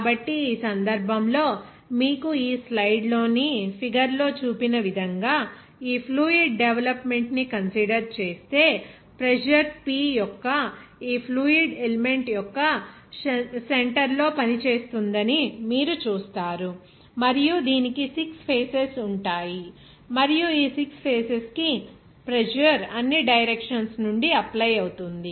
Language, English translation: Telugu, So, in this case here if you consider this fluid development here as shown in the figure in this slide, you will see that the pressure P will be acting at the center of this fluid element and it will have 6 faces and on all these 6 faces, the pressure will be acting from all its directions